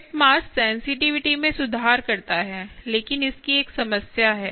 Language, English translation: Hindi, tip mass improves sensitivity, sensitivity, but has a problem of